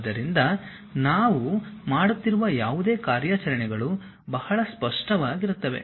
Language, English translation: Kannada, So, whatever the operations we are doing it will be pretty clear